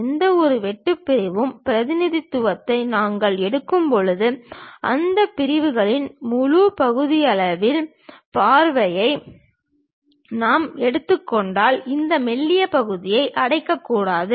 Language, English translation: Tamil, And when we are taking any cut sectional representation; even if we are taking full sectional view of that object, this thin portion should not be hatched